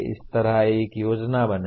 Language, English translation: Hindi, Similarly, create a plan